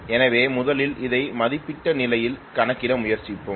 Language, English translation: Tamil, Okay so first of all let us try to calculate it under rated condition right